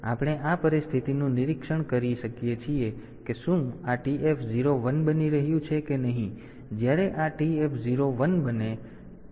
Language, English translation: Gujarati, So, we can monitor this situation whether this TF 0 is becoming 1 or not, and when this TF 0 becomes 1